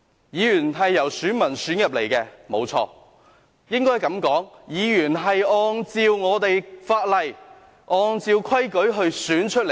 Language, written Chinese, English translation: Cantonese, 議員是由選民選出來的，沒錯......應該這樣說，議員是按照法例，按照規矩被選出來的。, It is true that Members are elected by voters it should be put this way Members are elected in accordance with the laws and regulations